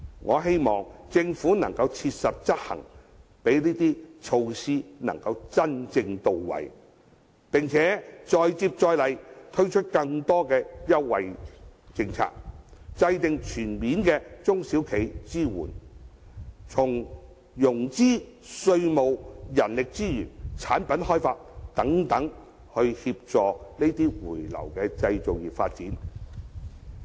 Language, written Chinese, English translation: Cantonese, 我希望政府能切實執行，讓這些措施能真正到位，並再接再厲，推出更多優惠政策，制訂全面的中小企支援計劃，從融資、稅務、人力資源、產品開發等方面，協助回流的製造業發展。, I hope that the Government will actively implement these policies to ensure that the intended goals are met and that it will make persistent efforts to introduce more favourable policies and formulate a comprehensive plan to support SMEs on all fronts including financing taxation human resources and product development so as to facilitate the manufacturing industries relocation back to Hong Kong